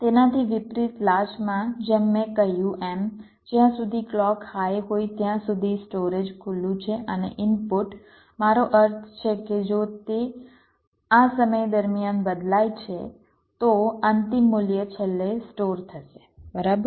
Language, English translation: Gujarati, ok, well, in contrast, in a latch, as i said, as long as clock is high, the storage is open and the input i mean even if it changes during this time the final value will get stored